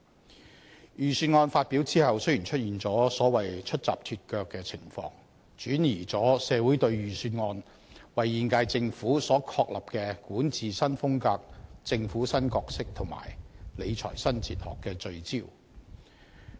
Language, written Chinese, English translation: Cantonese, 在預算案發表後雖出現"出閘脫腳"的情況，轉移了社會對預算案為現屆政府所確立的管治新風格、政府新角色及理財新哲學的聚焦。, While the Budget slipped right after its release shifting the focus of society away from the new style of governance the new roles of the Government and the new fiscal philosophy of the current - term Government established by the Budget I personally do not support the making of cash handouts